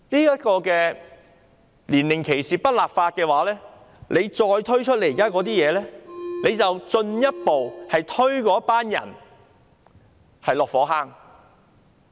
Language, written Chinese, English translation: Cantonese, 如果不就年齡歧視立法，政府再推出這些政策，便是進一步把那些人推落火坑。, If in the absence of legislation against age discrimination the Government rolled out these policies it would be tantamount to pushing these people further into the abyss of suffering